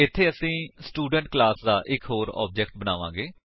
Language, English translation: Punjabi, Here, we will create one more object of the Student class